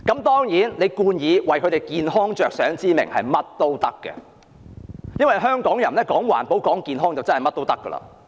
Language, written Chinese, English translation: Cantonese, 當然，她美其名是為他們的健康着想，所以無論怎樣做也可以，因為香港人都重視環保及健康。, Of course she has given a grand excuse of doing so for the sake of their health so she can take whatever action she likes since Hong Kong people attach great importance to environmental protection and health